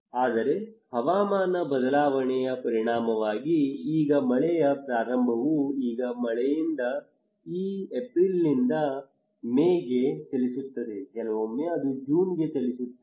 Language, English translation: Kannada, But as a result of climate change the rain now the onset of rainfall now moved from rain now move from April to May, sometimes it moves to June even